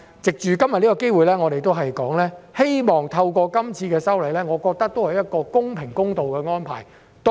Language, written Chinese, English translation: Cantonese, 藉着今天的機會，我想說的是，這次修例，我認為是公平、公道的安排。, I would like to take the opportunity today to say that I regard this amendment as a fair and impartial arrangement